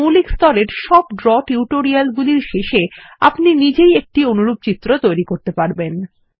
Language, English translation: Bengali, At the end of the basic level of Draw tutorials, you will also be able to create a similar diagram by yourself